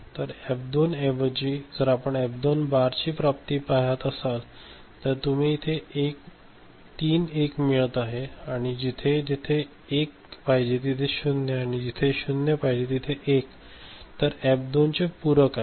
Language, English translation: Marathi, So, this F2, instead of F2 if you look at F2 bar realization, then these are the you know three 1s that will be there wherever 0 is there – 1; and wherever 1 0 will be there that is the prime of you know, complement of F2